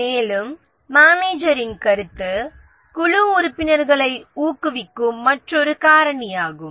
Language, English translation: Tamil, And the feedback from the manager that is another factor which motivates the team members